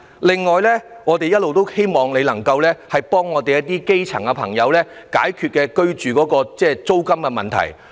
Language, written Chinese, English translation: Cantonese, 此外，我們一直希望你可以幫助基層朋友解決住屋租金的問題。, Separately we always hope for your help in resolving the rent problem faced by the grass - roots people